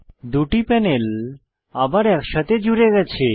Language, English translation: Bengali, The two panels are merged back together